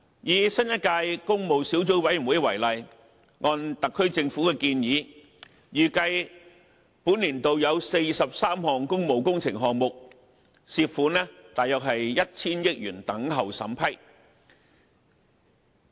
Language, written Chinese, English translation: Cantonese, 以新一屆工務小組委員會為例，按特區政府的建議，預計本年度有43項工務工程項目，涉款約 1,000 億元等候審批。, Let us refer to the Public Works Subcommittee PWSC of the present term as an example . As proposed by the SAR Government about 43 public works projects are expected to be approved this year involving a total of 100 billion